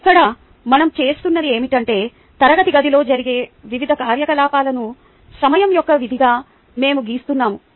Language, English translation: Telugu, here what we are doing is we are plotting the various activities that go on in a classroom as a function of time